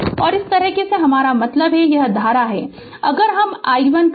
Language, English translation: Hindi, And this side, I mean this current if we take say i 1